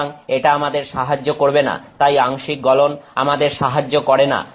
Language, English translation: Bengali, So, that does not help so therefore, partial melting does not help us